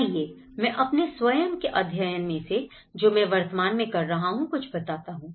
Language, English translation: Hindi, Letís come to some of my own study which I am currently doing